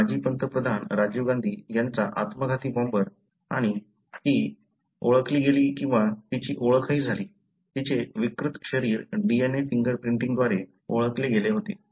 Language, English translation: Marathi, Even, the suicide bomber of former Prime Minister Rajiv Gandhi and she was identified or even her, her mutilated body was identified by DNA fingerprinting